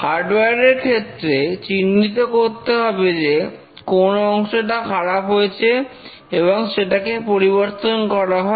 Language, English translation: Bengali, For a hardware maybe need to identify which component has failed and then replace the component